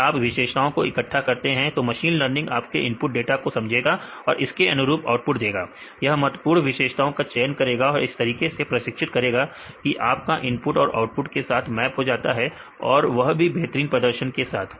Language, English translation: Hindi, If you collect the set of features the machine learning will learn your input data as well with respect to the output, and this will choose the important features and also it will train in such a way that your input will be mapped with output with the highest performance